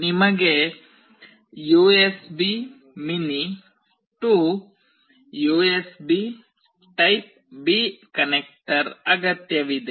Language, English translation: Kannada, You also required the USB mini to USB typeB connector